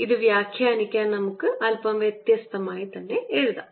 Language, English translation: Malayalam, to interpret this, let us write it slightly differently